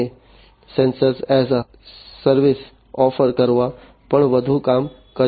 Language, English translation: Gujarati, We have done a lot of work on offering sensors as a service